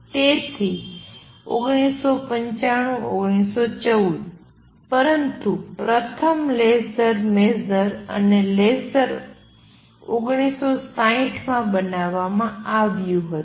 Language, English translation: Gujarati, So, 1915, 1914, but the first laser major and laser it was made in 1960s